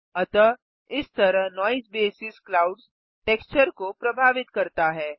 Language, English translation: Hindi, So this is how Noise basis affects the clouds texture